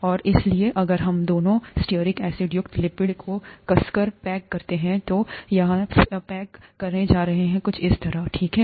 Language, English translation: Hindi, And therefore, if we tightly pack lipids containing both stearic acids, it is going to pack something like this, okay